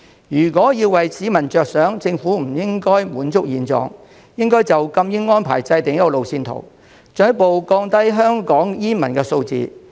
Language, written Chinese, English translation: Cantonese, 如果為市民着想，政府不應滿足於現狀，應就禁煙安排制訂路線圖，進一步降低香港煙民的數字。, For the sake of the public the Government should not be complacent with the present situation and should draw up a roadmap for the arrangements for imposing a smoking ban to further reduce the number of smokers in Hong Kong